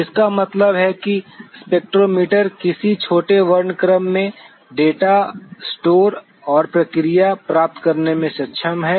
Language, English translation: Hindi, That means, in what smaller spectral range that the spectrometer is able to receive the data and store and process